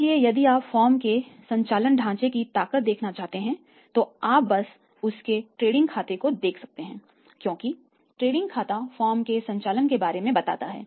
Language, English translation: Hindi, So, if you want to see the strength of the firms operating structure you simply look at the trading account you simply look at the trading account because trading account is the account of the operations of the firm